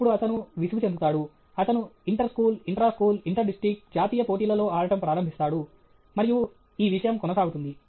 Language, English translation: Telugu, Then, he will get bored; he will start playing inter school, intra school, inter district, national and this thing and go on